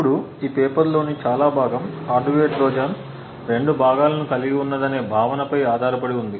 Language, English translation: Telugu, Now a lot of the paper is based on the fact that the hardware Trojan comprises of two components